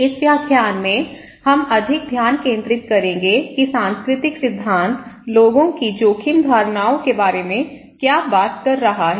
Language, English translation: Hindi, Here, in this lecture, we will focus more what the cultural theory is talking about people's risk perceptions